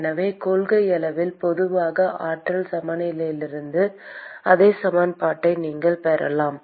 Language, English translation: Tamil, So, in principle, you could derive the same equation from the generalized energy balance also